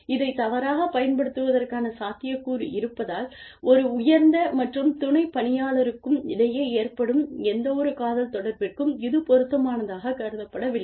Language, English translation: Tamil, It is not considered, appropriate, for any kind of romantic association occurring, between a superior and a subordinate, because of the potential, to misuse this